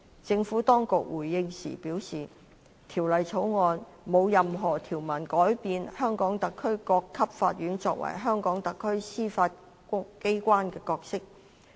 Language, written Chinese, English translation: Cantonese, 政府當局回應時表示《條例草案》沒有任何條文改變香港特區各級法院作為香港特區司法機關的角色。, The Administration responds that none of the provisions of the Bill seeks to affect the role of the courts at all levels of HKSAR as the judiciary of HKSAR